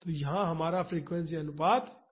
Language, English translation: Hindi, So, here our frequency ratio is 3